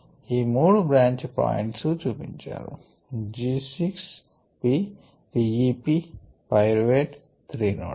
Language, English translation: Telugu, so these three branch points are shown: g six, p, p e, p pyruvate, these three nodes